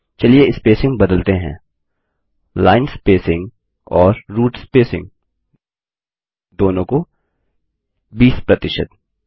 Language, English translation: Hindi, Let us change the spacing, line spacing and root spacing each to 20 percent